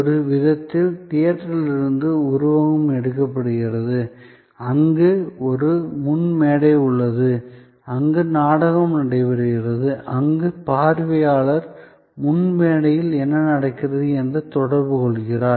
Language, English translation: Tamil, In a way, the metaphor is taking from theater, where there is a front stage, where the play is taking place, where the viewer is interacting with what is happening on the front stage